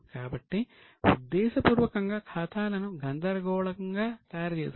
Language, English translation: Telugu, So, deliberately the accounts were made in a confusing manner